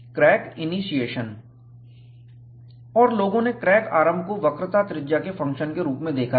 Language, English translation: Hindi, And, people have looked at crack initiation as a function of radius of curvature